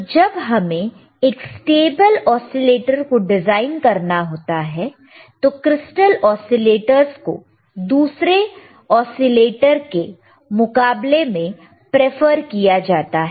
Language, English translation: Hindi, So, when you have, when you want to have a stable when you want to design a stable oscillator, the crystal oscillators are preferred are preferred over other kind of oscillators